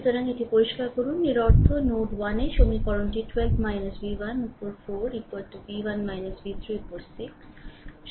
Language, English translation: Bengali, So, let me clear it right; that means, at node 1 this is the equation is written 12 minus v 1 upon 4 is equal to v 1 minus v 3 upon 6 right